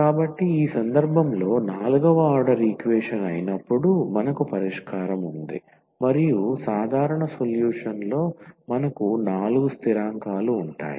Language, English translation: Telugu, So, we have the solution now in this case when the equation was the fourth order equation and we will have the four constants in the general solution